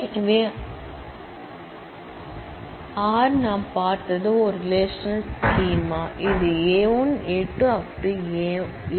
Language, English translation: Tamil, So, R as we have seen is a relational schema, which is a collection of attributes A 1 A 2 A n